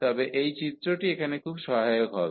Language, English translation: Bengali, So, this figure will be very helpful now